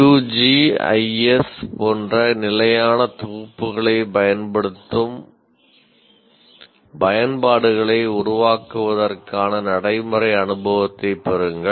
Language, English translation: Tamil, Have practical experience of developing applications that utilize standard packages like QGIS